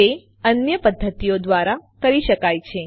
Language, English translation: Gujarati, It must be done by other methods